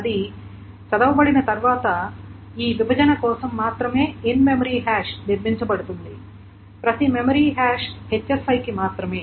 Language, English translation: Telugu, Once that is being read, an in memory hash is built for this partition only, each memory hash for HSI only